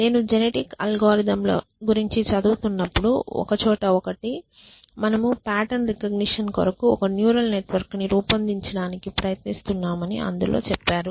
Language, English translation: Telugu, So, one of the places where I was reading about genetic algorithms they said that imagine that you are trying to devise a neural network for pattern recognition